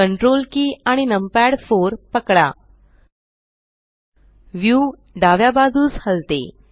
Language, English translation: Marathi, Hold Ctrl numpad 4 the view pans to the Left